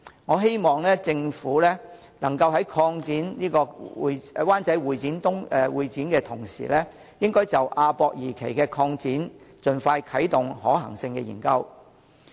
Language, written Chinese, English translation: Cantonese, 我希望政府能夠在擴建灣仔會展中心的同時，就亞博館二期的擴建盡快啟動可行性研究。, I hope that the Government will when expanding HKCEC in Wan Chai expeditiously activate the feasibility study on developing AWE Phase II